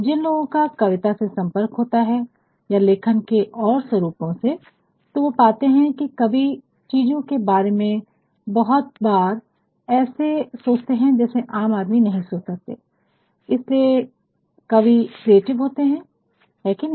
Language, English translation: Hindi, Those who are exposed to poetry and other forms of writing may find, that poets often think of things, which commoners cannot think and that is why poets are more creative is not it